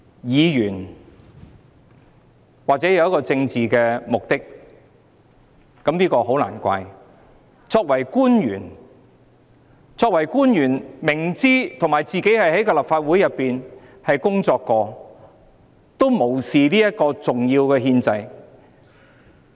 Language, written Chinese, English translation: Cantonese, 議員或許抱有政治目的，這也很難怪，但作為官員，而且他自己亦曾在立法會工作，卻無視這個重要的憲制程序。, Members may have political motives . It is justifiable . But as a public officer and also having worked in the Legislative Council he disregards such an important constitutional procedure